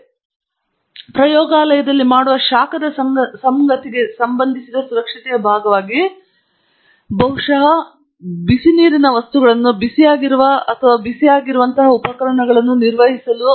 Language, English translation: Kannada, As part of safety associated with thermal things that we do in a lab, perhaps the most important thing is handling hot items, equipment that may be hot or samples that may be hot